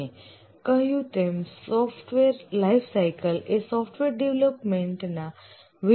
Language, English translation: Gujarati, The software lifecycle as we had already said is a series of stages during the development of the software